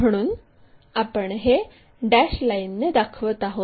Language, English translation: Marathi, So, we show it by dashed lines